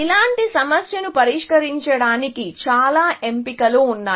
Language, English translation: Telugu, So, to solve a problem like this, there are many options